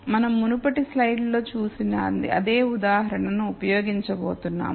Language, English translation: Telugu, We are going to use the same example that we had looked at in the previous slides